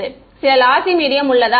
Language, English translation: Tamil, Is there are some lossy medium